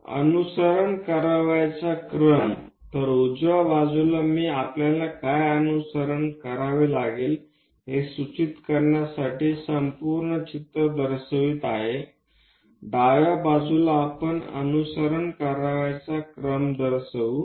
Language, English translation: Marathi, Steps to be followed, so on the right hand side I am showing the complete picture to just indicate the points what we have to follow, on the left hand side we will show the steps